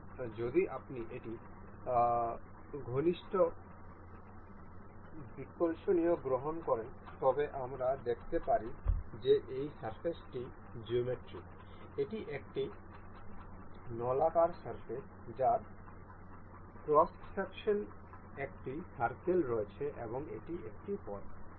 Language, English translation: Bengali, So, if you take a close analysis we can see that this surface is a geometrical this is a cylindrical surface that has a circle in in cross section and this is a path